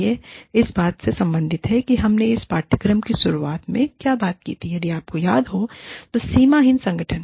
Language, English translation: Hindi, This relates to, what we talked about, right in the beginning of this course, if you remember, the boundaryless organization